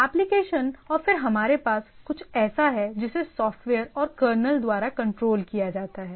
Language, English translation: Hindi, So, applications and then we have something which is controlled by the software and kernel